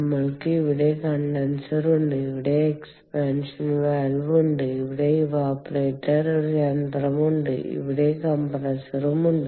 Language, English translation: Malayalam, we have the condenser here, we have the expansion valve here, we have the evaporator here and compressor here